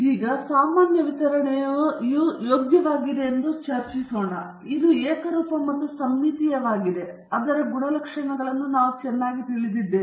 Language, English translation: Kannada, Now, we were discussing earlier that the normal distribution is preferable, it is unimodel and symmetric, and its properties are well known